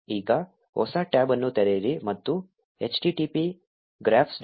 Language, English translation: Kannada, So now, open a new tab and type in http graphs